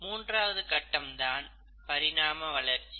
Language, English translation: Tamil, The very first phase is of chemical evolution